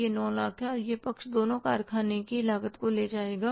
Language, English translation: Hindi, It is 9 lakhs and this side will be taking the two factory cost